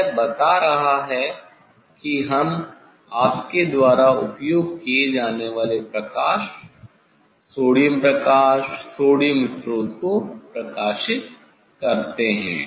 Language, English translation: Hindi, it is telling that we illuminate the light, sodium light, sodium source you use